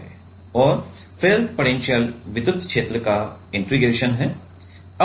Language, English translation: Hindi, And then the potential is my integration over the electric field